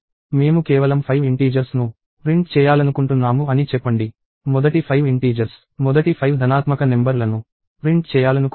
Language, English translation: Telugu, Let us say I want to just print the 5 integers – the first 5 integers – the first 5 positive numbers